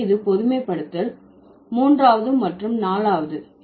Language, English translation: Tamil, That's the generalization number three